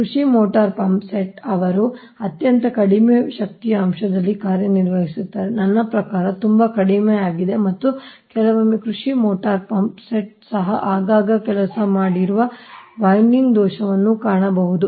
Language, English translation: Kannada, agricultural motor pumpset, they operate at very low power factor right, i mean very poor, and because of that also sometimes agricultural motor pump sets also, you will find that frequent working of the winding fault will be there right